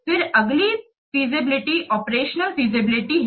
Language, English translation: Hindi, Then next feasibility is operational feasibility